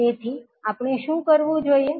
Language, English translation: Gujarati, So what we have to do